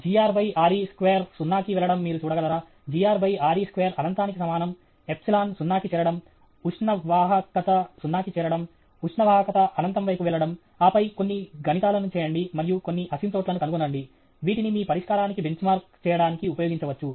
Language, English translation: Telugu, Can you look at g r by r e square tending to zero; g r by r e square is equal to Ten into infinity; epsilon tending to zero; thermal conductivity tending to zero; thermal conductivity tending to infinity, and then work out some maths, and find out some asymptotes, which can be used to benchmark your solution